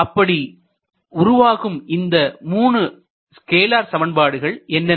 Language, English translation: Tamil, So, what are these scalar equations